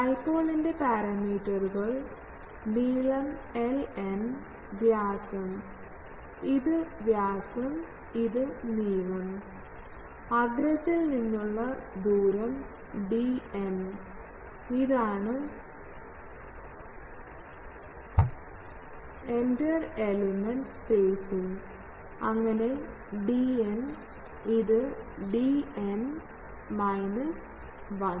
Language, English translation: Malayalam, Parameters of dipole are length l n, diameter a n, distance, this is diameter, this is length, distance from apex and d n is the inter element spacing, so that means, this is d n, this is d n minus 1 etc